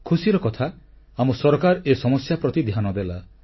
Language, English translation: Odia, And I'm glad that our government paid heed to this matter